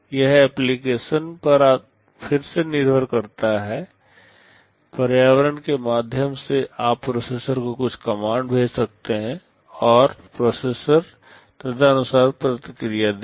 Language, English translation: Hindi, It depends again on the application, through the environment you can send some commands to the processor, and the processor will respond accordingly